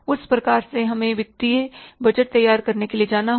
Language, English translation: Hindi, For that reason, we have to go for preparing the financial budgets